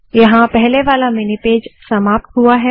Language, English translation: Hindi, Here the previous mini page got over